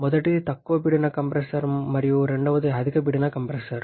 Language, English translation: Telugu, First one is a low pressure compressor and second one is high pressure compressor